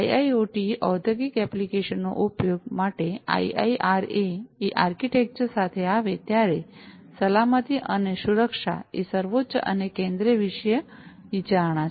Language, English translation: Gujarati, So, safety and security are paramount and central thematic considerations while coming up with the IIRA architecture for use with IIoT industrial applications